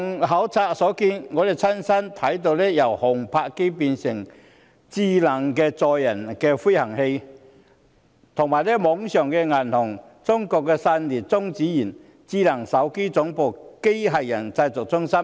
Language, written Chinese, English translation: Cantonese, 考察過程中，我們親身看到由航拍機變成的智能載人飛行器、網上銀行、中國散裂中子源、智能手提電話總部、機械人製造中心。, During the visit we witnessed intelligent passenger - carrying aerial vehicles evolving from drones and visited an Internet - only bank the China Spallation Neutron Source the headquarters of smart mobile phones and a manufacturing centre of robots